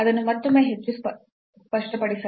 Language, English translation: Kannada, So, again to make it more clear